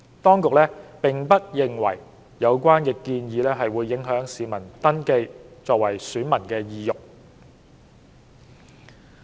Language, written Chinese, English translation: Cantonese, 當局並不認為有關建議會影響市民登記為選民的意欲。, The Administration does not consider that the proposal would affect the desire of members of the public to register as electors